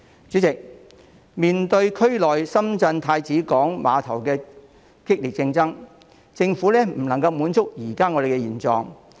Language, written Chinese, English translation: Cantonese, 主席，面對大灣區內深圳太子灣郵輪母港的激烈競爭，政府不能夠安於現狀。, President in the face of fierce competition from the Shenzhen Prince Bay Cruise Homeport SZCH in the Greater Bay Area the Government cannot rest on its laurels